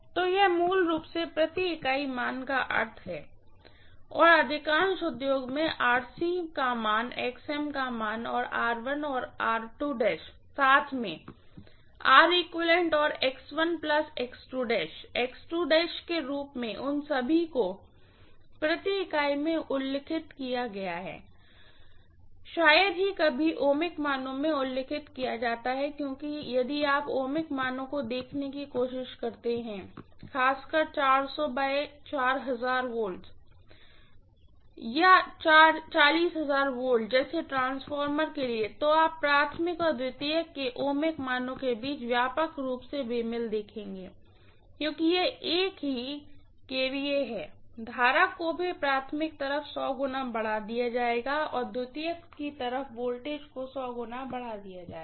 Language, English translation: Hindi, So this is the meaning of the per unit basically and most of the industries mention the RC values, XM values and R1 and R2 dash together as R equivalent and X1 plus X2 dash as X equivalent all of them are mentioned in per unit, hardly ever mentioned in ohmic values because if you try to look at the ohmic values, especially for a transformer like 400 V/say 4000 or 40,000 V, you will see the ohmic values grossly mismatching between the primary and secondary, because it is same kVA, the current would also be stepped up by 100 factor, 100 fold on the primary side and the voltage is stepped up by 100 fold on the secondary side